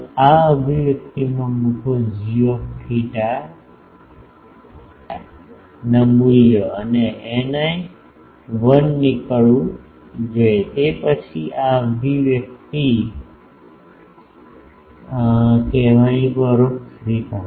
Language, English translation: Gujarati, Put that in this expression g theta phi values and eta i should turn out to be 1, then that will be indirect way of saying this expression